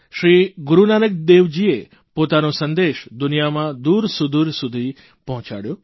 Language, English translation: Gujarati, Sri Guru Nanak Dev ji radiated his message to all corners of the world